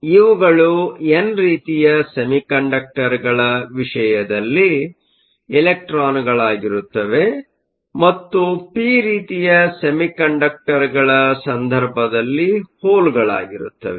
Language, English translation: Kannada, So, these would be electrons in the case of n type semiconductors; and holes, in the case of p type semiconductors